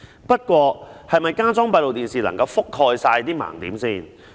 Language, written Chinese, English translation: Cantonese, 不過，加裝閉路電視能否覆蓋所有盲點？, However can the installation of additional CCTV cameras cover all the blind spots?